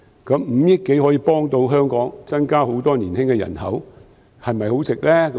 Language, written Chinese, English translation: Cantonese, 五億多元可以幫助香港增加很多年輕人口，這是否很值得？, If this sum of 500 - odd million can help boost the young population in Hong Kong will it be worth spending?